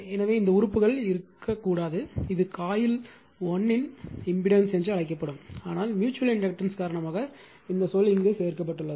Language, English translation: Tamil, So, these terms should not be there, it will be the only there you are what you call the impedance of the coil 1, but due to that you are what you call mutual inductance this term is added